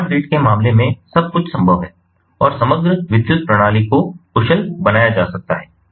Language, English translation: Hindi, so everything is possible, ah in the case of smart grid and making the overall power system efficient in terms of power quality